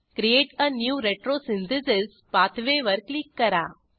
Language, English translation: Marathi, Click on Create a new retrosynthesis pathway